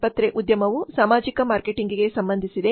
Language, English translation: Kannada, Hospital industry is related with social marketing